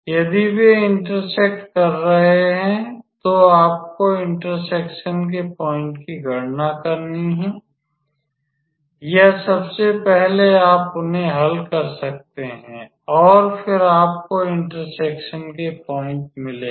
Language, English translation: Hindi, If they are intersecting, then calculate the point of intersection or at first you can solve them and then you will get the point of intersection